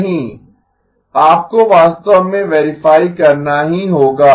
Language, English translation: Hindi, No, you actually have to verify